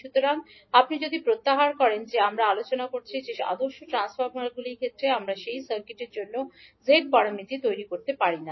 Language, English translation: Bengali, So, if you recollect that we discussed that in case of ideal transformers we cannot create the z parameters for that circuit